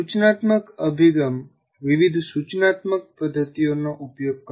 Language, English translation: Gujarati, And then an instructional approach will use different instructional methods